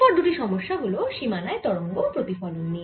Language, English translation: Bengali, next, two problems are going to be on the reflection of waves on a boundary